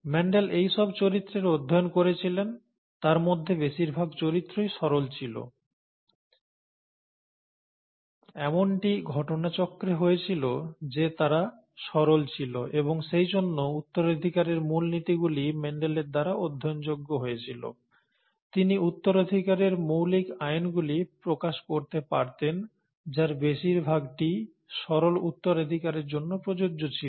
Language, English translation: Bengali, So these were the characters that Mendel studied, most of these characters were rather simple, it just happened by chance that they were simple and therefore the basic principles of inheritance could be, became amenable to study by Mendel; he could come up with the basic laws of inheritance, most of which is, was applicable for simple inheritance